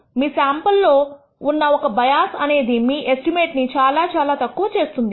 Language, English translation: Telugu, A single bias in this sample actually caused your estimate to become poorer